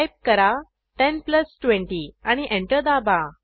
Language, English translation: Marathi, Type 10 plus 20 and press Enter